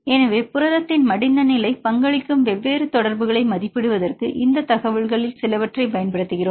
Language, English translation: Tamil, So, we use some of this information to estimate different interactions which contribute to the folded state of the protein